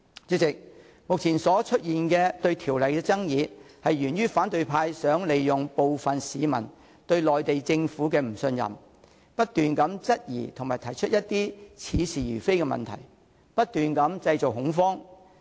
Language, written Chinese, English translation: Cantonese, 主席，目前出現對《條例草案》的爭議，源於反對派想利用部分市民對內地政府的不信任，不斷質疑和提出一些似是而非的問題，製造恐慌。, President the existing disputes about the Bill have arisen because opposition Members have exploited peoples lack of trust in the Mainland Government to create panic by raising doubts and asking specious questions